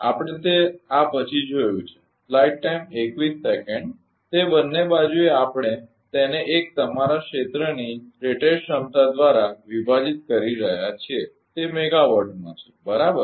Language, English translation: Gujarati, That both side we are dividing it by that your rated capacity of area 1 it is in megawatt right P r 1 is in megawatt, right